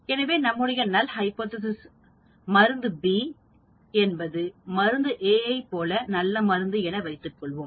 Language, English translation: Tamil, So the null hypothesis could be drug B is as good as drug A